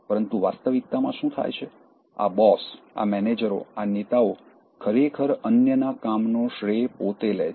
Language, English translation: Gujarati, But what happens in reality, these bosses, these managers, these leaders, actually take the credit for others’ work